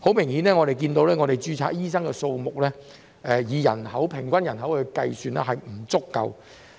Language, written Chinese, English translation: Cantonese, 很明顯，本港註冊醫生的數目，以平均人口計算，並不足夠。, Obviously the number of registered doctors in Hong Kong is inadequate compared to the average population